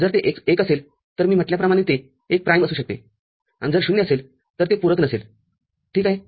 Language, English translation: Marathi, If it is 1, as I said it could be a prime; and if it is 0, it will be unprimed ok